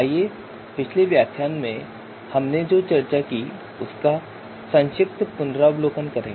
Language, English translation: Hindi, So let us do a quick recap of what we discussed in the previous lecture